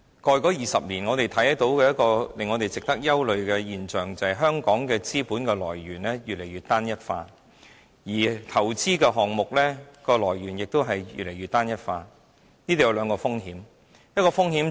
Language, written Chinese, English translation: Cantonese, 過去20年，我們看到一個令人憂慮的現象，便是香港的資本來源越來越單一化，而投資項目來源也越來越單一化，當中有兩個風險。, These are important . When we look back on the development in the past 20 years we can see a worrying phenomenon of the increasingly homogenous source of funds and of investments in Hong Kong . The homogeneity will put the city at risk in two aspects